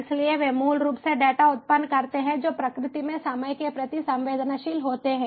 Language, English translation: Hindi, so they they basically generate data which are time sensitivity in nature